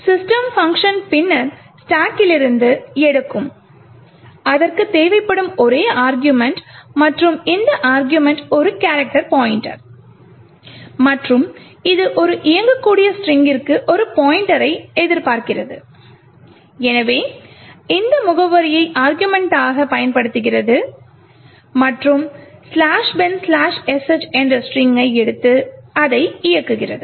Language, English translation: Tamil, The system function would then pick from the stack, the only argument that it requires and this argument is a character pointer and it is expecting a pointer to a string comprising of an executable, so it uses this address as the argument and picks the string /bin/sh and executes it